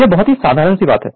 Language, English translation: Hindi, This is very simple thing